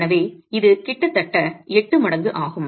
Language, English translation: Tamil, Here earlier we had seen that it's about eight times